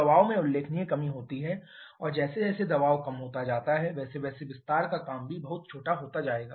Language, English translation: Hindi, There is a significant reduction in pressure and as the pressure is reduced so the corresponding expansion work also will be much smaller